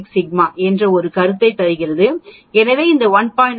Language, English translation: Tamil, 96 sigma, so this 1